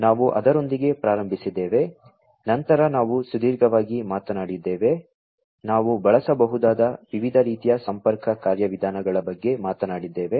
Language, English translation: Kannada, We started with that then we talked about in length, we talked about the different types of connectivity mechanisms, that could be used